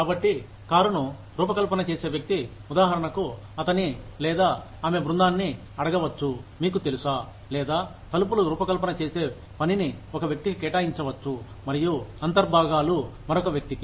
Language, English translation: Telugu, So, the person designing the car, for example, may ask his or her team, to decide, you know, or may assign the task of designing doors, to one person